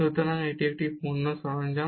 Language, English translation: Bengali, So, this is a product tool